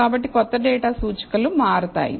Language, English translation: Telugu, So, the indices for the new data will change